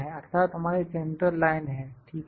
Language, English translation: Hindi, That is our central line, ok